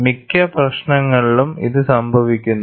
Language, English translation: Malayalam, This happens in most of the problems